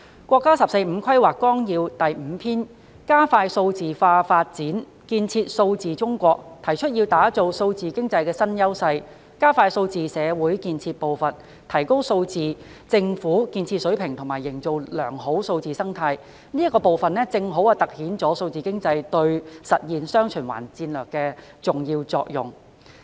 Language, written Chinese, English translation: Cantonese, 在《十四五規劃綱要》第五篇"加快數位化發展，建設數字中國"中，提出要打造數字經濟新優勢、加快數字社會建設步伐、提高數字政府建設水平及營造良好數字生態，這個部分正好突顯數字經濟對實現"雙循環"戰略的重要作用。, Part 5 of the 14th Five - Year Plan on accelerating digitalisation development for building a digital China highlights the need to create new strengths for digital economy accelerate the pace of building a digital society improve the level of digital government development and create a beneficial digital ecosystem . This part has precisely demonstrated the important role played by digital economy in implementing the dual circulation strategy